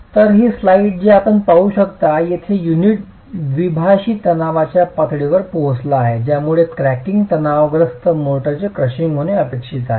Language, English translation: Marathi, So, this slide that you can see is where the unit has reached a level of biaxial tension that causes cracking, following which is where the crushing of the motor is expected to happen